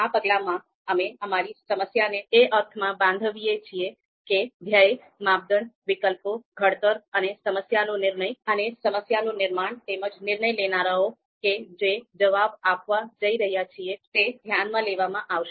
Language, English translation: Gujarati, So in this step, we structure our problem in the sense the goal, the criteria to be considered, and the alternatives to be evaluated and the framing and formulation of the problem and you know decision makers who are going to respond respond